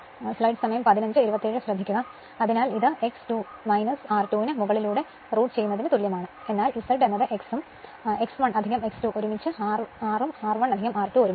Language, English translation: Malayalam, So, this is X equal to then root over Z square minus R square right, but Z is a your what you call X also is equal to X 1 plus X 2 together; R also R 1 plus R 2 together right